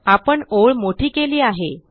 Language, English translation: Marathi, We have widened the line